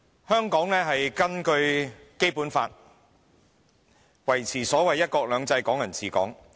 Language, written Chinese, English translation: Cantonese, 香港根據《基本法》，維持所謂"一國兩制"、"港人治港"。, Hong Kong maintains the so - called one country two systems and Hong Kong people ruling Hong Kong under the Basic Law